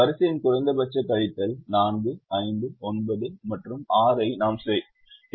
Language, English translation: Tamil, we do the row minimum, subtraction of four, five, nine and six